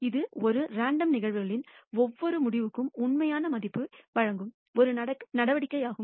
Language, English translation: Tamil, It is a measure which assigns a real value to every outcome of a random phenomena